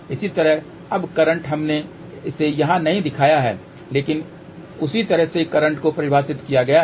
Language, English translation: Hindi, Now, similarly now, the current we have not shown it over here, but current in the same fashion is defined